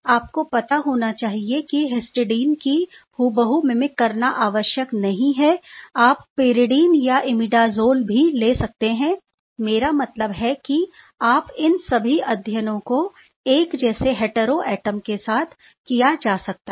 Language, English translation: Hindi, You must know that it is not essential to mimic exactly the histidine, you can perhaps play with pyridine, you can add pyridine or imidazole I mean you know all these mimicking studies with essentially deal with the same heteroatom